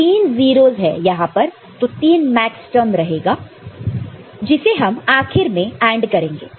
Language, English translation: Hindi, So, three 0s are there, three Maxterms will be there which will be finally ANDed